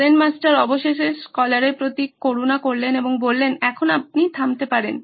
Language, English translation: Bengali, Zen Master finally took pity on scholar and said now you may stop